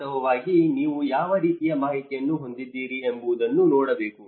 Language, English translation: Kannada, In fact, one has to look at what kind of information do you have